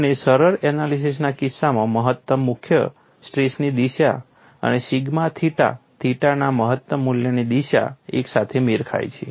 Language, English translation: Gujarati, And in the case of simplistic analysis, the maximum principles of directions and the direction of maximum value of sigma theta theta coincides